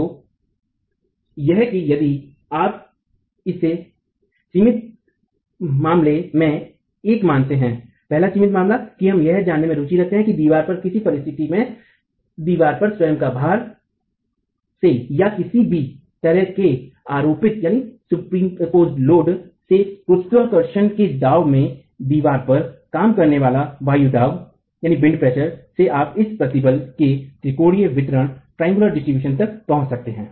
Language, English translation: Hindi, So, this if you consider this as the as one of the limiting cases, one of the first limiting cases, we are interested in knowing what wind pressure acting on the wall under the condition of the wall being loaded in gravity by itself weight or any superimposed load at what wind pressure would you reach this limiting triangular distribution of stresses